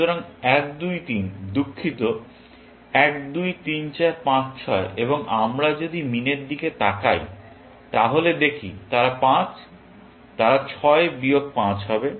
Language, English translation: Bengali, So, 1,2,3 sorry, 1,2,3,4,5,6, and if we look at min then, they are 5; they happen to be 6 minus 5